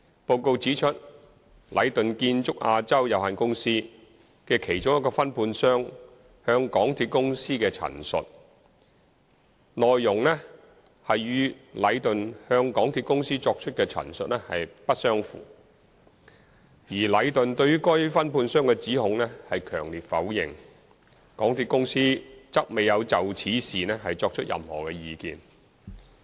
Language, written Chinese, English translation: Cantonese, 報告指出，禮頓建築有限公司的其中一個分判商向港鐵公司的陳述，其內容與禮頓向港鐵公司作出的陳述不相符，而禮頓對於該分判商的指控強烈否認，港鐵公司則未有就此事情作出任何意見。, The report states that the statements given by one of the subcontractors of Leighton Contractors Asia Limited Leighton are not consistent with those given to MTRCL by Leighton who has strenuously denied the allegations . MTRCL did not express any opinion on this matter